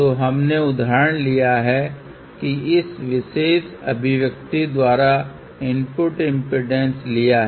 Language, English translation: Hindi, So, we had taken the example where the input impedance is given by this particular expression